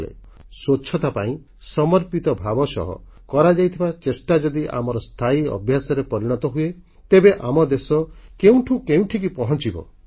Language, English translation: Odia, If this committed effort towards cleanliness become inherent to us, our country will certainly take our nation to greater heights